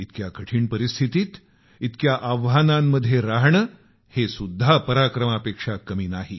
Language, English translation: Marathi, Living in the midst of such adverse conditions and challenges is not less than any display of valour